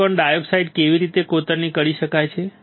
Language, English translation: Gujarati, When I etch silicon dioxide what can I see